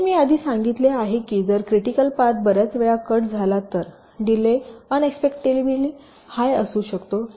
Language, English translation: Marathi, ok, so, as i said earlier, if a critical path gets cut many times, the delay can be an unacceptably high